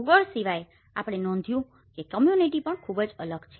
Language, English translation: Gujarati, Apart from geography, we also notice that community is also very different